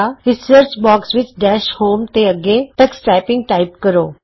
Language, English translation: Punjabi, In the Search box, next to Dash Home, type Tux Typing